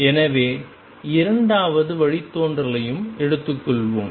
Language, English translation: Tamil, So, that the second derivative can be also taken